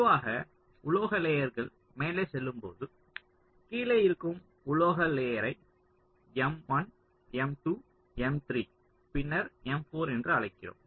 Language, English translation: Tamil, so, as the metal layers go up, the lowest metal layer, we call it m one, then m two, then m three, then m four, like that